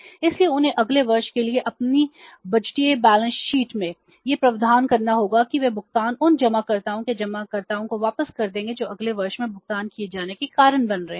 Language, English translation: Hindi, So they have to make the provisions in their budgeted balance sheet for the next year that they will make the payment back to the depositors of those deposits which are becoming due to be paid in the next year